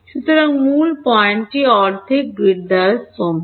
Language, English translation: Bengali, So, the main point is staggered by half a grid